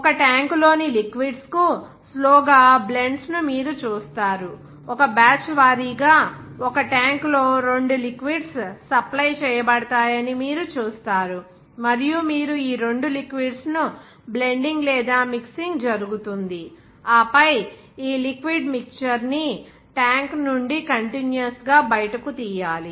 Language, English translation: Telugu, Even you will see blends slowly to liquids in a tank also you will see that two liquids will be supplied in a tank in a batch wise, and you will there be blend or mixing of these two liquids and then the mixture of this liquid should be taken out continuously from the tank